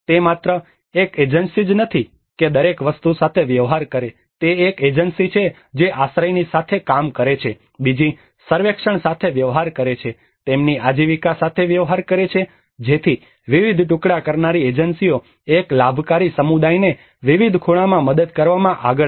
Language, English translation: Gujarati, It is not just one agency dealing with everything it is one agency dealing with shelter another dealing with surveys another dealing with their livelihood so different fragmented agencies come forward to help one beneficiary community in different angles